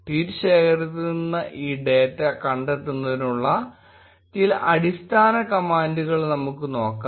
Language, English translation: Malayalam, Let us look at few basic commands to explore this data in tweet collection